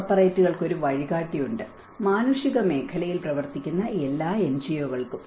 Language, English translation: Malayalam, There is a guide to the corporates, all the NGOs who are working in the humanitarian sector